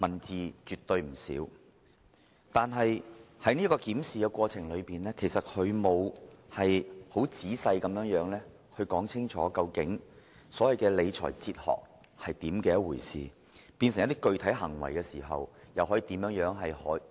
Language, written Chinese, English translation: Cantonese, 字數絕對不少，但在檢視過程中，他並沒有詳細說明所謂的理財哲學是甚麼，以及如何依據有關的理財哲學轉化成具體行為。, Despite the significant number of words involved a detailed explanation has not been given during the course of examination as to what the financial management philosophy is and how such philosophy can be translated into concrete actions